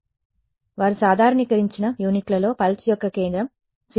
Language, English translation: Telugu, So, they are saying a centre of the pulse is 0